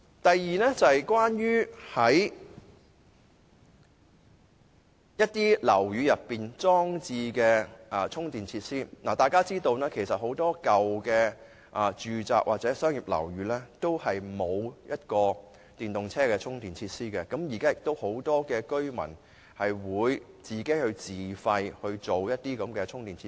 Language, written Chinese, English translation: Cantonese, 第二，關於在大廈內裝設充電設施的問題，相信大家也知道，很多舊式住宅或商業樓宇均沒有電動車充電設施，而現時很多居民均願意自費裝設充電設施。, Secondly with regard to the provision of charging facilities in buildings I think we should all know that many old residential or commercial buildings are not provided with charging facilities for electric vehicles but their occupiers are willing to install charging facilities at their own expense